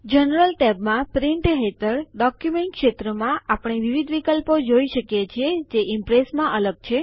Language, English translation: Gujarati, In the General tab, under Print, in the Document field, we see various options which are unique to Impress